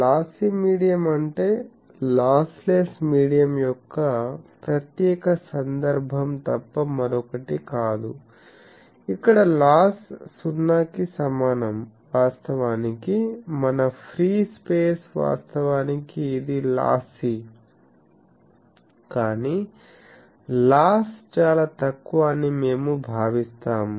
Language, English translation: Telugu, So, lossy medium is nothing but a special case of lossless medium, where loss is equal to 0 actually our pre space actually it is lossy, but we consider it that loss is very small